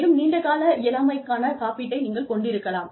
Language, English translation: Tamil, You could have a long term disability insurance